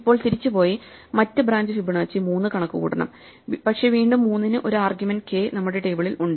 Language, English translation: Malayalam, So, we have to now go back and compute the other branch Fibonacci of 3, but once again 3 has an argument k is in our table